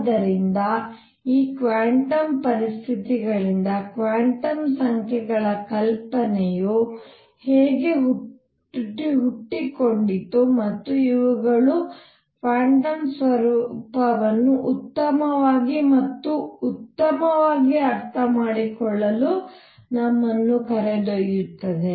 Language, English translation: Kannada, So, these are ideas I am just doing it to introduce to the ideas, how the idea of quantum numbers arose from these quantum conditions and these are going to lead us to understand the quantum nature better and better